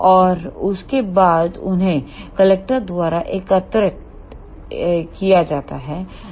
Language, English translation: Hindi, And after that they will be collected by the collector